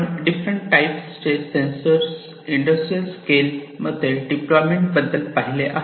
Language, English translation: Marathi, We have talked about the deployment of different types of sensors, in industrial scale